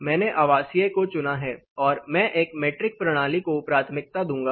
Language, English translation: Hindi, So, I have chosen residential and I would prefer a metric system